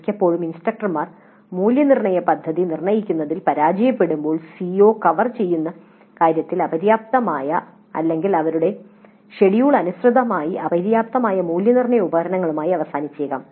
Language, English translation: Malayalam, Often the instructors when they fail to determine the assessment plan may end up with assessment instruments which are inadequate in terms of covering the COs or inadequate in terms of their schedule